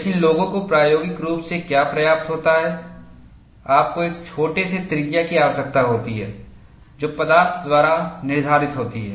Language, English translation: Hindi, But what people have experimentally obtained is, you need to have a smaller radius which is dictated by the material